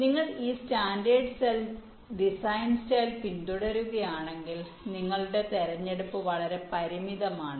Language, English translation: Malayalam, you see, if you are following this standard cell design style, then your choice is very limited